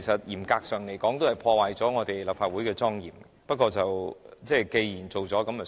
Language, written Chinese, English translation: Cantonese, 嚴格來說，這破壞了立法會的莊嚴，不過既然做了便算。, Strictly speaking this has undermined the solemnity of the Legislative Council but now that it was done let it be